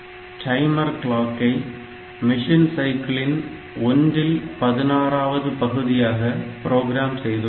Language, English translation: Tamil, So, timer clock can be programmed as one 16th of the machine cycles